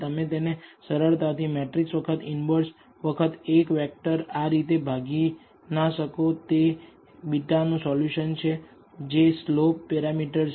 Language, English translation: Gujarati, You cannot simply divide it as matrix times inverse times a vector that is a solution for beta which is slope parameters